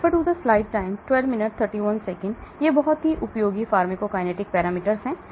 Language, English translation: Hindi, So these are very useful pharmacokinetic parameters